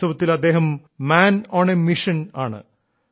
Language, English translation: Malayalam, In reality he is a man on a mission